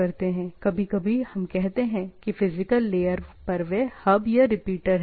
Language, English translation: Hindi, Sometimes, we call that at the physical layer they are hub or repeater